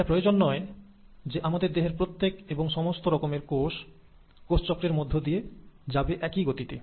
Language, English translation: Bengali, Now, it's not necessary that each and every cell of your body will undergo cell cycle at the same rate